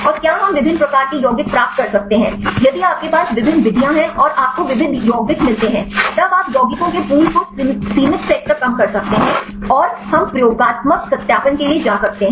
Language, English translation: Hindi, And whether we can get the diverse variety of compounds, if you have different methods and you get the diverse compounds; then you can reduce the pool of compounds to limited set and that we can go for the experimental validation